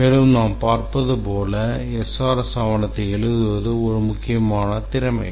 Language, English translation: Tamil, The SRS document development, writing the SRS document is a very important skill